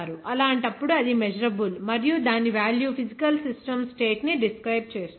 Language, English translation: Telugu, In that case, that is measurable and its value describes a physical system state